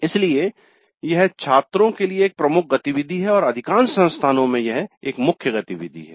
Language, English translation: Hindi, So it is a major activity for the students and in most of the institutes this is a core activity